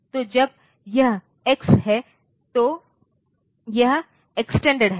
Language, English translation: Hindi, So, when it is x it is extended